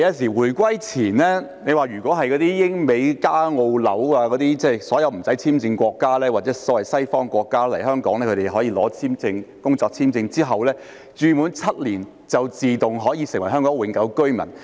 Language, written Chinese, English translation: Cantonese, 在回歸前，英、美、加、澳、紐等無需簽證國家人士，或所謂西方國家人士取得工作簽證來港後住滿7年，便可以自動成為香港永久性居民。, Before Hong Kongs reunification with China British United States Canadian Australian and New Zealand nationals or the so - called westerners who had resided in Hong Kong for seven years after entering Hong Kong on employment visas would automatically become HKPRs . However all along our treatment of Mainlanders and FDHs has been discriminatory